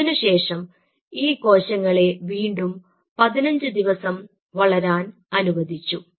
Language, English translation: Malayalam, so then you allowed them to grow for another fifteen days